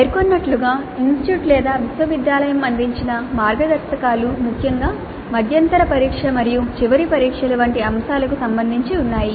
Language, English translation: Telugu, As I mentioned, there are certainly guidelines provided either by the institute or by the university with respect to particularly items like midterm tests and final examinations